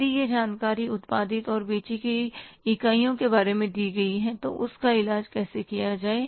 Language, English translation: Hindi, If that information is given about the units produced and sold, then how to treat that